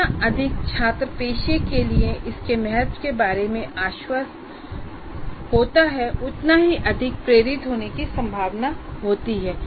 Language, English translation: Hindi, The more the student is convinced of its importance to the profession, the more motivated is likely to be